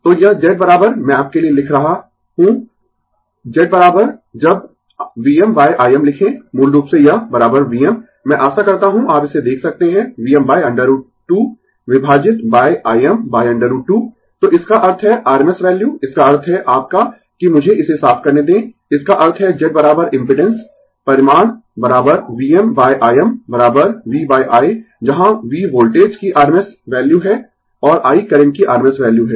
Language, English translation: Hindi, So, this Z is equal to I am writing for you Z is equal to right, when we write V m by I m right, basically it is equal to V m I hope you can see it V m by root 2 divided by I m by root 2 right, so that means RMS value, that means your let me clear it, that means Z is equal to the impedance magnitude is equal to V m by I m is equal to V by I, where V is the RMS value of the voltage, and I is the RMS value of the current